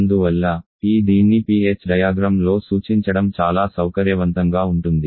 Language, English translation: Telugu, And therefore, it is quite convenient to represent this one on this PH diagram